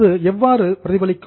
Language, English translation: Tamil, Now how it will be reflected